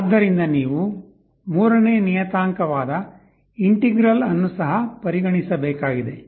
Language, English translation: Kannada, So, you also need to consider a third parameter that is the integral